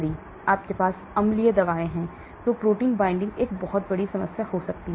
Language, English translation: Hindi, There are, if you have acidic drugs, protein binding could be a big problem